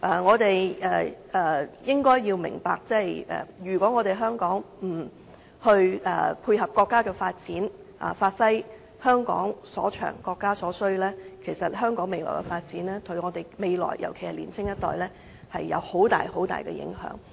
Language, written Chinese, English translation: Cantonese, 我們應該要明白，如果香港不配合國家的發展，發揮香港所長，配合國家所需，對香港未來的發展，尤其對年青一代會有很大影響。, We should understand that if Hong Kong does not complement the national development by giving play to our advantages and catering for the needs of the country Hong Kongs future development will be greatly affected in particular the young generation